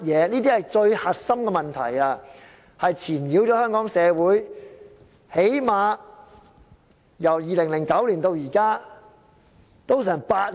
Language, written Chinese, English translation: Cantonese, 這些是最核心的問題，纏擾了香港社會最少——由2009年至今——已經有8年了。, These are the most critical questions which have been disturbing Hong Kong community for at least―from 2009 to present―eight years